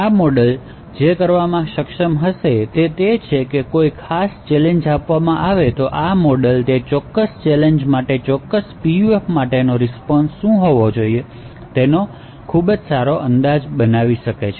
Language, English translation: Gujarati, So what this model would be actually capable of doing is that given a particular challenge this particular model could create a very good estimate of what the response for a particular PUF should be for that specific challenge